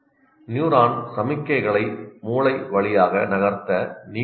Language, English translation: Tamil, Water is required to move neuronal signals through the brain